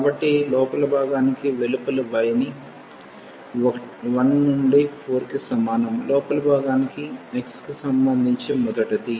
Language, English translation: Telugu, So, for the inner one so, we fix the outer one y is equal to 1 to 4, for inner one with respect to x first